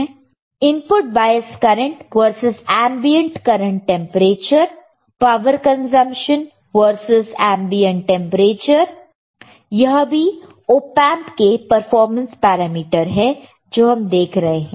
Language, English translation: Hindi, We see input bias current versus ambient current temperature, we see power consumption versus ambient temperature, this is a performance parameter are of the op amp alright